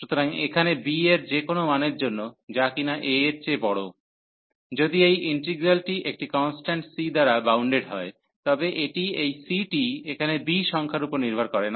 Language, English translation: Bengali, So, here for any value b here, which is greater than a, if this integral is bounded by a constant C, it is this C is not depending on the number b here